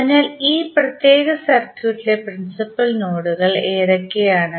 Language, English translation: Malayalam, So, what are the principal node in this particular circuit